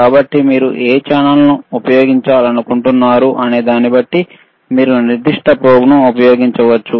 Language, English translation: Telugu, So, depending on what channel, you want to use, you can use the particular probe